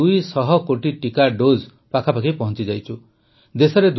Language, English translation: Odia, We have reached close to 200 crore vaccine doses